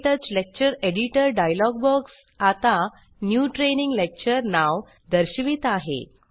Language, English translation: Marathi, The KTouch Lecture Editor dialogue box now displays the name New Training Lecture